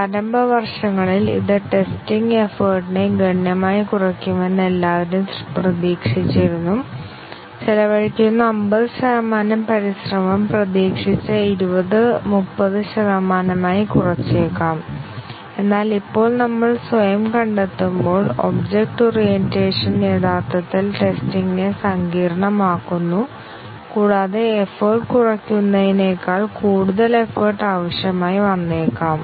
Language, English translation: Malayalam, In the initial years everybody expected that it will substantially reduce the testing effort, the 50 percent effort that is being spent may be reduce to 20 30 percent that was the expectation, but then as we self find out now that object orientation actually complicates testing and may need more effort rather than reducing the effort